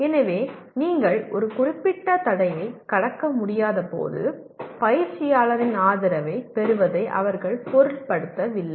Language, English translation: Tamil, So they do not mind seeking support from the coach when you are unable to cross a certain barrier